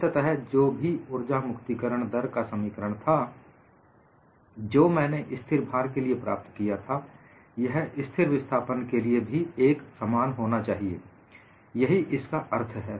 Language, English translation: Hindi, Whatever the expression for energy release rate that I get in constant load should be same as constant displacement; that is the anticipation